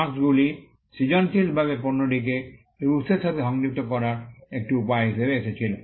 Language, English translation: Bengali, Marks came as a way to creatively associate the goods to its origin